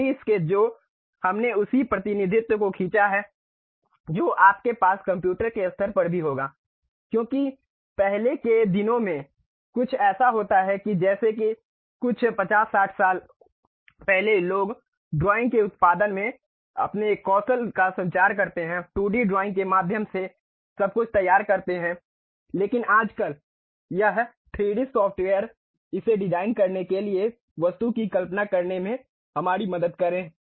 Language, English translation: Hindi, The 2D sketches what we have drawn the same representation you will have at computer level also because earlier days something like some 50 60 years back people communicate their skill set in terms of drawing, production drawings everything through 2D drawings, but nowadays these 3D softwares really help us to visualize the object to design it